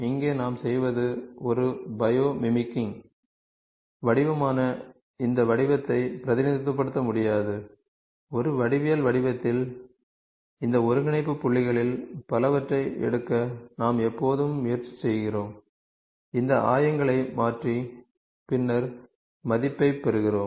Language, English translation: Tamil, So, here what we do is we cannot represent this form which is a bio mimicking form, in a geometric form, we always try to take several of these coordinate points, convert these coordinates and then get the value